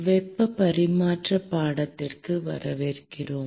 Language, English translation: Tamil, Welcome to heat transfer course